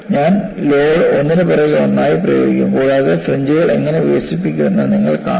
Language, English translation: Malayalam, And I would also apply the load one after another, and you would see how the fringes develop